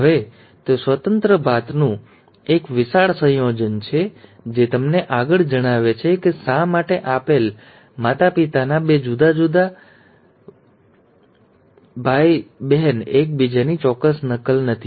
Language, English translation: Gujarati, Now that is a huge combination of independent assortment, which further tells you why two different, two siblings of a given parents are not exact copy of each other